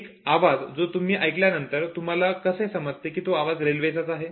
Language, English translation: Marathi, Now, one sound, how does it make you understand that this comes from the train